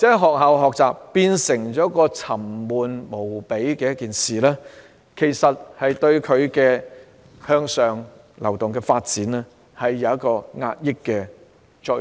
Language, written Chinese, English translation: Cantonese, 學校的學習變成了沉悶無比的事情，這對他們向上流動產生了壓抑的作用。, School learning has become so boring that even the desire for upward mobility has been suppressed